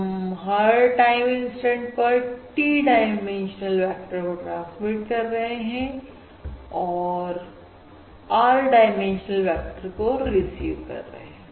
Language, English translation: Hindi, we are transmitting a T dimensional vector, we are receiving an R dimensional vectors